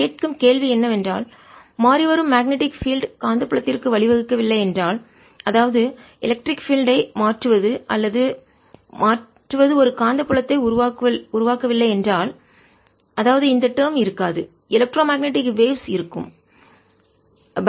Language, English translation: Tamil, the question we are asking is: if a changing magnetic field did not give rise to magnetic field, that means if or changing electric field did not give rise to a magnetic field, that means this term did not exists, would electromagnetic waves be there